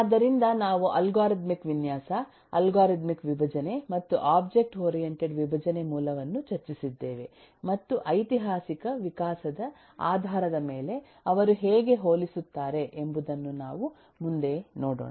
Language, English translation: Kannada, so we have eh discussed eh the basic of algorithmic eh design, algorithmic decomposition and the object oriented decomposition, and eh we will next take a look into how do they compare based on that historical evolution